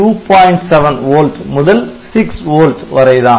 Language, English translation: Tamil, 7 volt to 6 volts